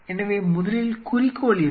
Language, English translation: Tamil, So, first what is the objective and what is the purpose